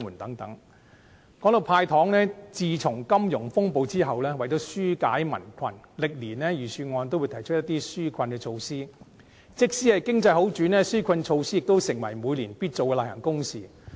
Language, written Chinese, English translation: Cantonese, 談到"派糖"，自金融風暴後，為了紓解民困，歷年的預算案都會提出一些紓困措施，即使經濟好轉，紓困措施亦成為每年必做的例行公事。, Talking about giving away candies the Budget has been proposing relief measures every year since the financial turmoil in order to relieve peoples hardships . The relief measures have become an annual routine even though the economy has recovered